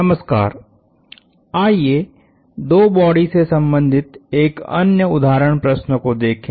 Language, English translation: Hindi, Hello, let us look at another example problem involving two bodies